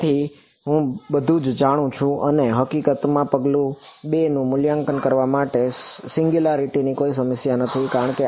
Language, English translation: Gujarati, So, now, I know everything and in fact, in evaluating step 2, there is there is no problem of singularities because